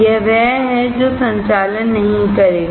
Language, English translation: Hindi, It is that, that will not conduct